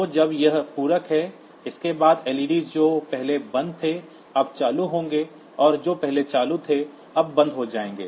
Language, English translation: Hindi, So, when its complements then the led s, which were off previously will be on now, and those which were on previously will be off now